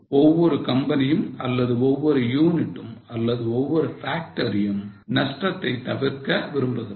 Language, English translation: Tamil, Every company or every unit or every factory wants to avoid losses